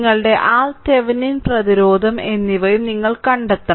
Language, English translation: Malayalam, And then you have to find out also that your R Thevenin, Thevenin resistance